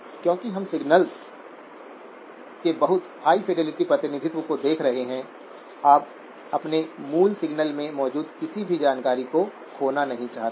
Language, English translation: Hindi, Because we are looking at very high fidelity representation of signals, you do not want to lose any information that is there in your original signal